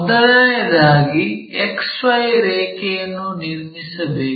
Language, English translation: Kannada, First thing, we have to draw a XY line, X line, Y line